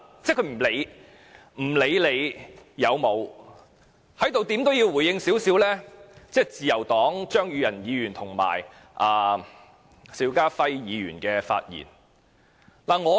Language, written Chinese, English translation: Cantonese, 在此，我要就自由黨的張宇人議員及邵家輝議員的發言稍作回應。, Here I will briefly respond to the speeches of Mr Tommy CHEUNG and Mr SHIU Ka - fai of the Liberal Party